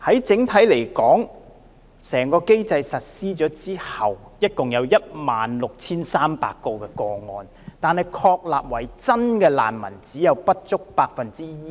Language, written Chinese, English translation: Cantonese, 整體而言，在整個機制實施後，共有16300宗個案，但獲確立為真正難民的個案，只有不足 1%。, Overall speaking after the introduction of the mechanism there were 16 300 cases but those established as genuine refugee cases accounted for less than 1 %